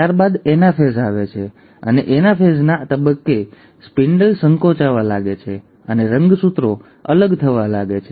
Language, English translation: Gujarati, Then comes the anaphase and at the stage of anaphase, the spindle starts contracting and the chromosome starts getting pulled apart